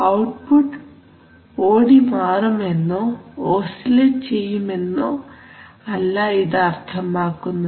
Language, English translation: Malayalam, It is not that the output will run away or it is not that the output will oscillate